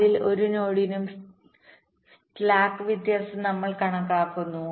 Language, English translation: Malayalam, so for every node, we calculate the slack, the difference